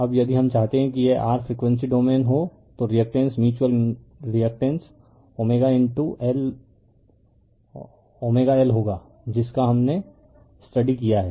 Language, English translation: Hindi, Now if we want that this will be your frequency domain the reactance mutual reactance will be omega into l l omega we have studied